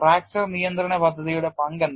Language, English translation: Malayalam, What is the role of the fracture control plan